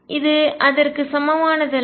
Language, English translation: Tamil, This is not equal to that